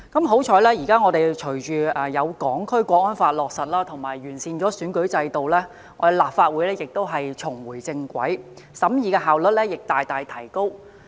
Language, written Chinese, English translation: Cantonese, 幸運地，隨着《香港國安法》落實和完善選舉制度後，我們立法會得以重回正軌，審議工作的效率亦大大提高。, Thankfully upon the implementation of the Hong Kong National Security Law and the improvement of the electoral system the Legislative Council has been able to get back on the right track with the efficiency of our deliberations greatly enhanced